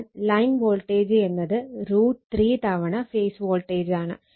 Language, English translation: Malayalam, And line to line voltage is equal to root 3 times the phase voltage right